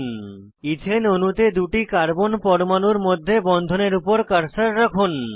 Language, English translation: Bengali, Place the cursor on the bond between two carbon atoms in the Ethane molecule